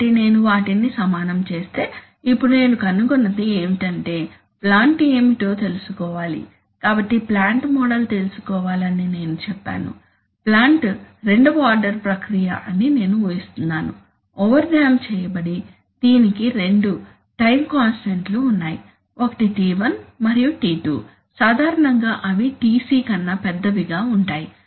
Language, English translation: Telugu, So if I equate them and then what I find is that now if the, now what is the plant, so I said the plant model should be known I'm assuming that the plant is the second order process, over damped, it has two time constants, one is t1 and t2 typically they will be larger than Tc when we control something we want to make its response, generally we have to make its response faster